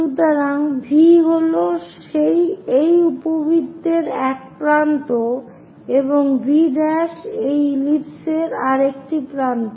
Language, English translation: Bengali, So, V is one end of this ellipse V prime is another end of an ellipse